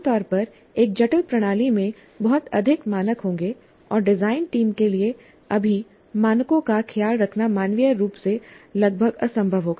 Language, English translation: Hindi, Usually a complex system will have too many parameters and it will be humanly almost impossible for the design team to take care of all the parameters